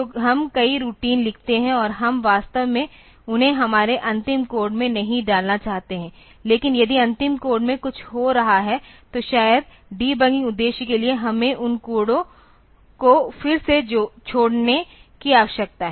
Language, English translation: Hindi, So, we write a many routine and we do not want to really put them into our final code, but if there is something happening in the final code, then maybe for debugging purpose we need to leave up those codes again